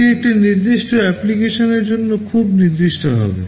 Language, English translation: Bengali, It will be very specific to a particular application